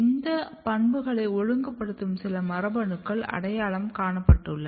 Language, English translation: Tamil, And then some of the genes which has been identified which regulates this property